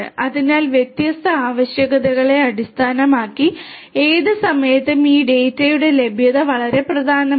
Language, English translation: Malayalam, So, availability of this data at any time based on the different requirements is very important